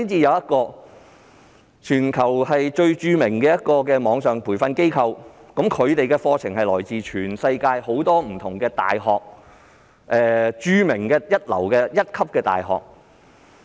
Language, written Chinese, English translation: Cantonese, 有一間全球著名的網上培訓機構，其培訓課程均來自全球多間一流大學。, There is a world - renowned online training institution whose training courses all come from various first - class universities around the world